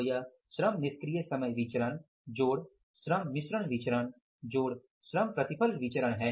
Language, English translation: Hindi, Labor idle time variance, labor mix variance and labor yield variance